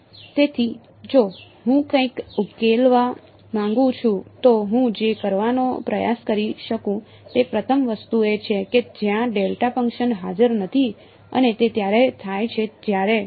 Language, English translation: Gujarati, So, if I want to solve something what the first thing I could try to do is to consider the case where the delta function is not present and that happens when